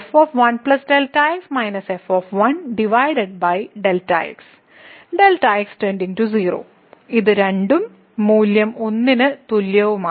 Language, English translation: Malayalam, So, goes to 0, this is 2 and the value is equal to 1